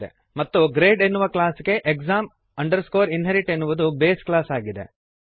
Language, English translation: Kannada, Class grade is the derived class And class exam inherit is the base class for class grade